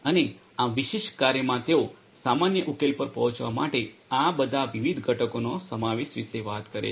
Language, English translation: Gujarati, And this particular work they talk about the involvement of all of these different components to arrive at a common solution